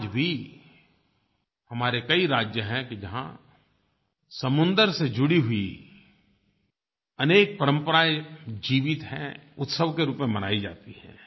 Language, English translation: Hindi, Even today, there are many states where several cultures associated with sea exists and are celebrated with zest